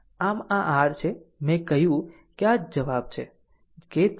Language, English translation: Gujarati, So, this is your I told you that this is your answer that 3